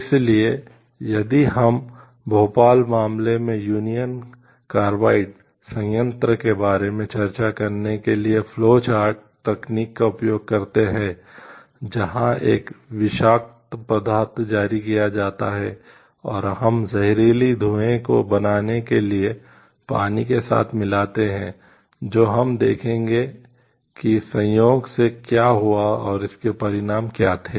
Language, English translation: Hindi, So, if we see use the flow chart technique to discuss about the union carbide plant in Bhopal case, where like a toxic substance was released and we mixed with water to create toxic fumes, we will see like how it what led which incidentally to which happening and what were the consequences of it